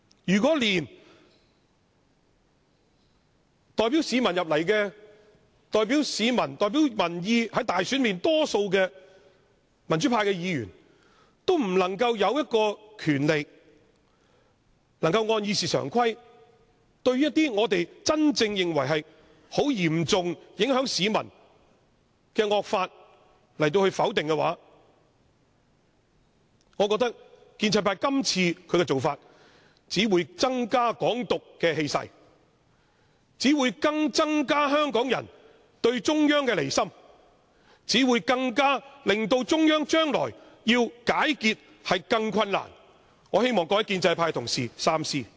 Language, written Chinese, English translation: Cantonese, 如果連代表市民和民意進入議會、在選舉中獲大多數選票的民主派議員，也不能擁有權力根據《議事規則》否決一些我們認為嚴重影響市民的惡法，我覺得建制派這次的做法只會助長"港獨"的氣勢，只會增加香港人對中央的離心，只會令中央將來要解結更為困難，我希望各位建制派同事三思。, If the pro - democracy Members elected by a majority of votes who represent public opinion are stripped of the power under RoP to veto draconian laws that in our view will seriously affect the public we believe this act of the pro - establishment camp will only foster the air of Hong Kong independence and the disloyalty of Hong Kong people towards the Central Government making the knot more difficult to untie in the future . I hope Honourable colleagues in the pro - establishment camp will think twice